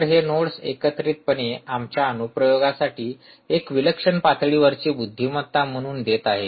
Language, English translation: Marathi, so these nodes together are giving as a fantastic ah level of intelligence for our application